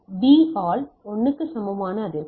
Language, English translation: Tamil, So, frequency equal to 1 by T